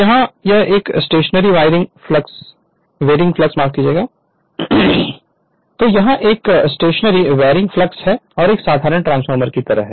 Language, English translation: Hindi, So, but here it is a that was a stationary time varying flux as in ordinary transformer